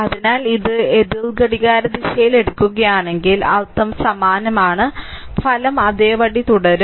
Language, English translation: Malayalam, So, you are moving it is it is it is taken anticlockwise meaning is same right ultimate the result will remain same